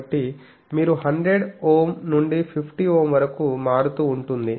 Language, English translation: Telugu, So, you see 100 to 50 Ohm it is varying